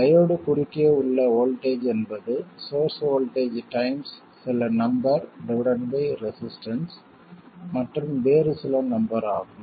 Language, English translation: Tamil, The voltage across the diode is the source voltage times some number divided by a resistance plus some other number